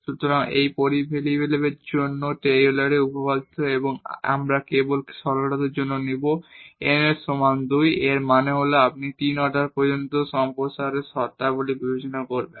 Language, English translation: Bengali, So, this is the Taylor’s theorem for two variables and we will take just for simplicity the n is equal to 2; that means, you will consider the terms in the expansion up to order 3